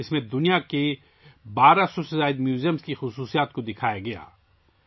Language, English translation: Urdu, It depicted the specialities of more than 1200 museums of the world